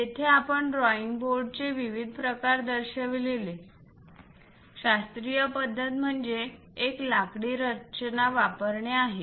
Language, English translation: Marathi, Here we have shown different variety of drawing boards; the classical one is using a wooden structure